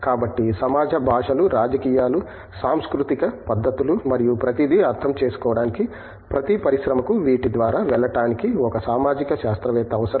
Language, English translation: Telugu, So, to in order to understand the society languages, politics, cultural practices and everything, every industry requires a social scientist to help them navigate through these